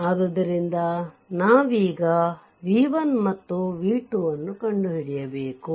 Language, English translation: Kannada, So, so, you have to find out v 1 and v 2